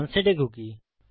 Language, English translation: Bengali, So unset a cookie